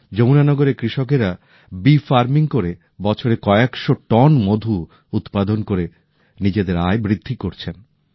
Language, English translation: Bengali, In Yamuna Nagar, farmers are producing several hundred tons of honey annually, enhancing their income by doing bee farming